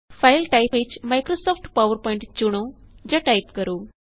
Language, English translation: Punjabi, In the file type, choose Microsoft PowerPoint